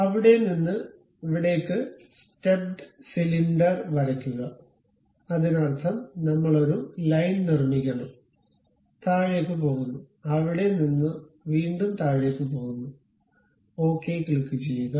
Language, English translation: Malayalam, From there to there, draw it is a stepped cylinder that means, we have to construct a line goes down, from there again goes down, click ok